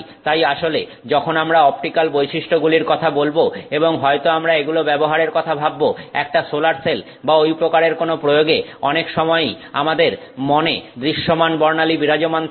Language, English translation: Bengali, So, in fact, you know, when we talk of optical properties and maybe we are thinking about, say, using it for a solar cell application or something like that, many times in our mind it is a visible spectrum that sticks in our mind